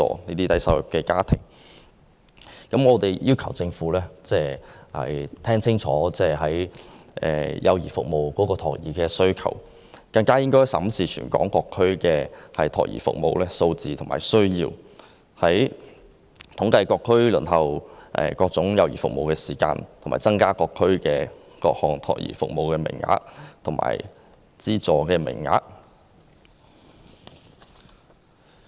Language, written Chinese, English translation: Cantonese, 我們期望政府能辨清社會對幼兒服務的需求，仔細審視全港各區託兒服務的相關數字和需要，就每區各項幼兒服務的輪候時間進行統計，以及相應增加各區各項託兒服務的資助名額。, We expect that the Government can discern the demand for child care services in the community and examine closely the relevant figures and needs concerning child care services in various districts throughout the territory . It should compile statistics on the waiting time for various child care services in each district so as to correspondingly increase the number of aided places for each child care service area in each district